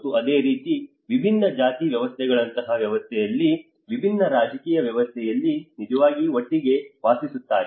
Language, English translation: Kannada, And similarly in a system like different cast systems, different political systems when they are actually living together